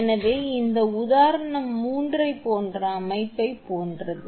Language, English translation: Tamil, So, the diagram is similar to example three